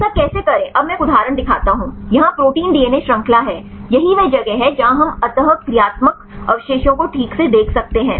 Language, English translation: Hindi, How to do this now I show one example, here is this is the protein DNA chain this is the place where we can see the interacting residues right